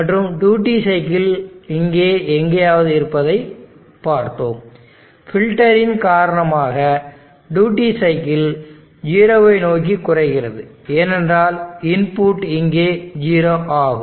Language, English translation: Tamil, And we saw that it was the duty cycle somewhere here and the duty because of the filter, the duty cycle is decreasing towards 0, because the input is 0 here